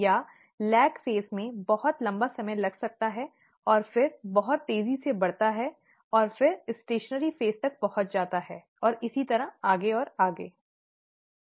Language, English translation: Hindi, Or, it may take a very long time in lag phase, and then grow very quickly and then reach stationary phase, and so on and so forth, okay